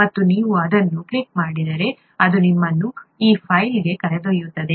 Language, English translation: Kannada, And if you click that, it will take you to this file